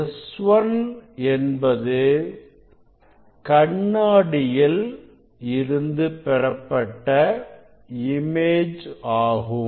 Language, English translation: Tamil, there will be image of this mirror S 1